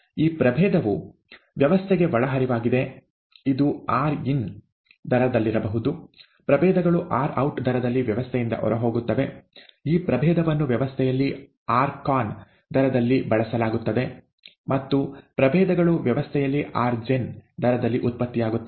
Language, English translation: Kannada, This species is input into the system, may be at a rate of rin; the species is output from the system at the rate of rout; the species is consumed in the system at the rate of r, I am sorry, this is, this must be r consumed, con, and species is generated in the system at the rate of rgen, okay